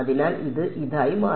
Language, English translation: Malayalam, So, this became this